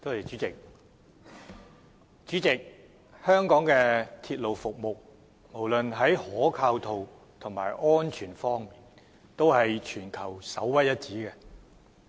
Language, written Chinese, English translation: Cantonese, 主席，香港的鐵路服務無論在可靠度和安全性方面均屬全球首屈一指。, President the service of Hong Kongs railway system is one of the best in the world in terms of its reliability or safety